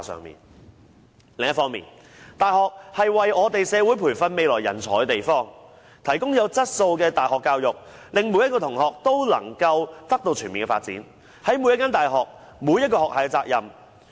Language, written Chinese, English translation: Cantonese, 另一方面，大學是為我們社會培訓未來人才的地方，提供有質素的大學教育，令每位同學也獲得全面發展，這是每所大學、每個學系的責任。, On the other hand universities are the place where we train future talents for society and where we provide quality tertiary education for the all - round development of students . This is the responsibility of universities and their different faculties